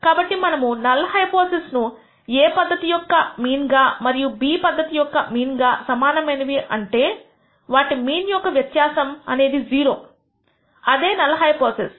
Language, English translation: Telugu, So, we have chosen the null hypothesis that method A mean and method B mean both are equal which means their difference in the mean should be equal to 0 that is your null hypothesis